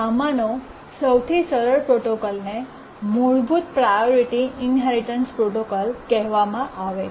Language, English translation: Gujarati, The simplest of these protocols is called as the Basic Priority Inheritance Protocol